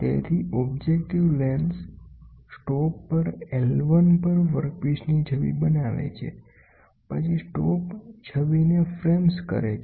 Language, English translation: Gujarati, So, the image objective lens forms an image of the workpiece at I 1 at a stop, then the stop frames the image